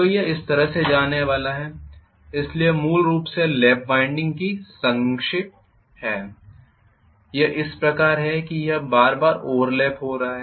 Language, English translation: Hindi, So it is going to go like this, so this is essentially the cracks of lap winding this is how it is going to be it is overlapping repeatedly